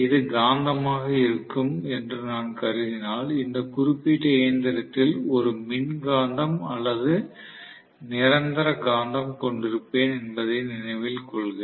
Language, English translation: Tamil, If I assume that this is going to be the magnet, please note I am going to have an electromagnet or permanent magnet in this particular machine